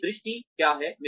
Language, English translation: Hindi, What is my vision